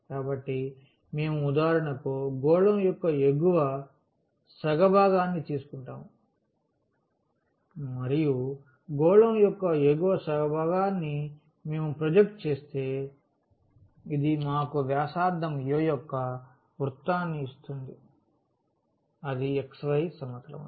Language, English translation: Telugu, So, we will take for instance the upper half part of the sphere and if we project that upper half part of the sphere; this will give us the circle of radius a in the xy plane